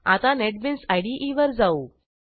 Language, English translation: Marathi, Now go back to the Netbeans IDE